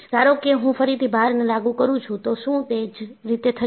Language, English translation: Gujarati, Suppose, I apply the load again, will it happen in the same fashion